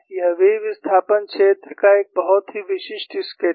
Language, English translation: Hindi, This is a very typical sketch of v displacement field